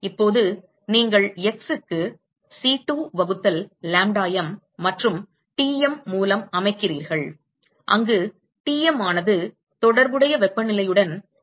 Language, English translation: Tamil, And now, you set x to C2 by lambda m and Tm where Tm corresponds to the corresponding temperature